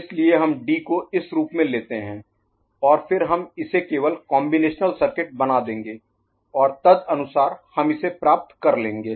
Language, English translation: Hindi, So, we’ll take D as this one ok, and then we shall just make it combinatorial circuit, and accordingly we will get it right